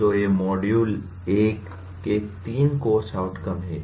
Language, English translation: Hindi, So these are the three course outcomes of the module 1